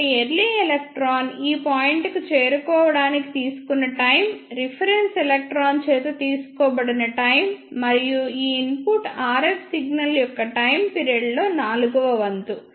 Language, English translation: Telugu, So, time taken by the early electron to reach to this point will be time taken by the reference electron plus one fourth of the time period of the input RF signal